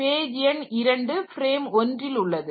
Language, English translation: Tamil, So, page number 2 is in frame number 1